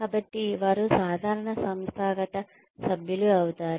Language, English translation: Telugu, So, they become regular organizational members